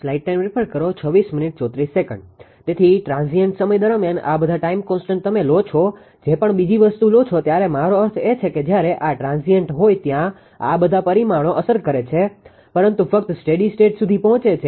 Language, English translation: Gujarati, So, all this time constant when you take other thing whatever they have during the transient during the transient time, I mean when this transient is there that all these para parameters have effect, but only reaches to a steady state